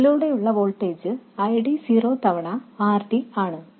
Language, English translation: Malayalam, So, the voltage drop across this is ID 0 times RD